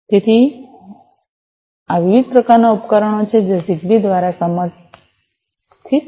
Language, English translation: Gujarati, So, these are the 3 different types of devices that are supported by Zigbee